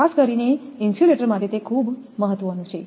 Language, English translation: Gujarati, It is very important particularly for insulators